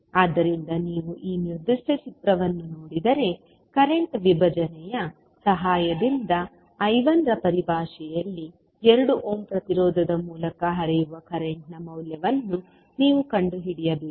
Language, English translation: Kannada, So, if you see this particular figure you need to find out the value of current flowing through 2 ohm resistance in terms of I 1, with the help of current division